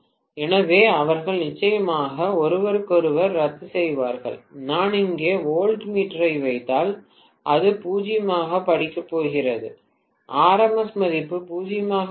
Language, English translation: Tamil, So, they will definitely cancel out each other and if I put the voltmeter here, it is going to read 0, the RMS value will be 0